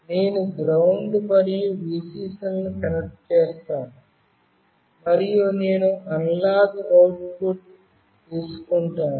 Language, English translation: Telugu, I will be connecting the GND and Vcc, and I will be taking the analog output